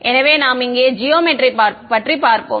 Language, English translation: Tamil, So, the let us look at the geometry over here